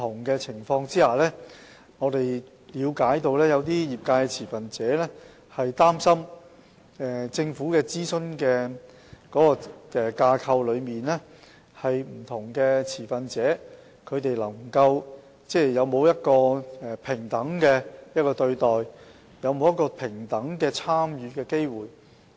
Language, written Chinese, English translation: Cantonese, 據我們了解，有些業界持份者擔心，政府的諮詢架構在不同情況下，不同持份者會否獲得平等對待和平等參與的機會。, As far as we know some members of the industry are concerned whether our consultation framework will treat different stakeholders on different occasions equally and whether they will be given equal opportunity to participate in the discussion